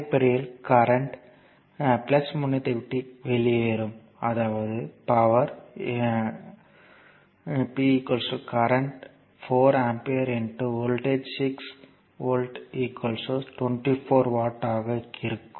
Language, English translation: Tamil, So, basically the current actually leaving the your plus terminal; that means, your power, power will be your I is given 4 ampere and voltage is 6 volt